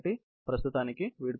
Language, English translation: Telugu, So, as of now, good bye